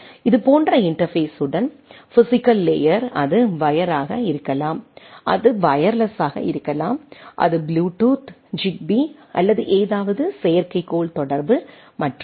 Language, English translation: Tamil, Like, interface with the means physical layer it may be wire, it may be wireless it may be bluetooth, zigbee or anything satellite communication and so on so forth